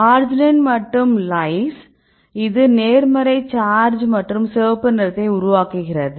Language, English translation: Tamil, This is arginine and lys this make the positive charge and the red for